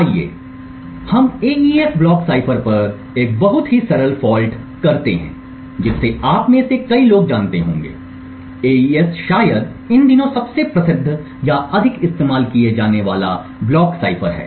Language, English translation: Hindi, Let us take a very simple fault attack on the AES block cipher, so as many of you would know the AES is probably the most famous or more commonly used block cipher used these days